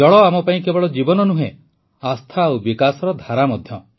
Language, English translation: Odia, For us, water is life; faith too and the flow of development as well